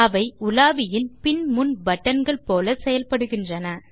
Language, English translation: Tamil, It more or less acts like the back and forward button in a browser